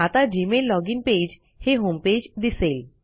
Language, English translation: Marathi, You will notice that the Gmail login page is the homepage